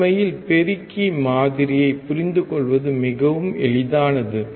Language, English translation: Tamil, Very easy to actually understand the amplifier model